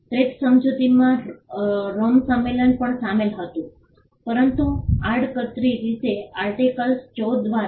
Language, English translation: Gujarati, The TRIPS agreement also incorporated the Rome convention, but indirectly through Article 14